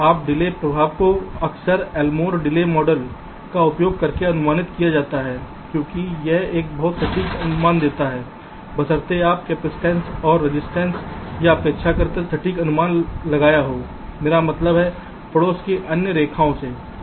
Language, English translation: Hindi, now the delay impact is often estimated using the elmore delay model because it gives a quite accurate estimate, provided you have made a relatively accurate estimate of the capacity, when the resistive i mean effects of the neiburehood, the other lines